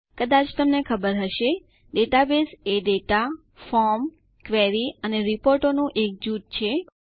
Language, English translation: Gujarati, As you may know, a database is a group of data, forms, queries and reports